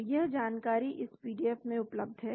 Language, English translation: Hindi, So, this information is available in this PDF